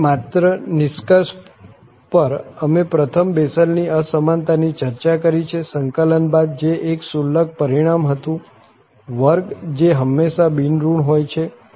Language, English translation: Gujarati, And just to conclude, we have discussed the Bessel's Inequality first, which was a trivial result followed by the integral, the squares which is always non negative